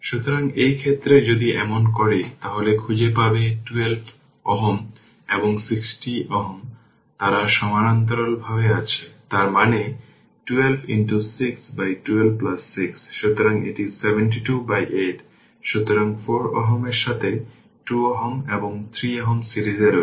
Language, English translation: Bengali, So, in this case if you do so, then you will find 12 ohm and 6 ohm, they are in parallel so; that means, 12 into 6 by 12 plus 6 so, it is 72 by 8 so, 4 ohm with that this 2 ohm and 3 ohm are in series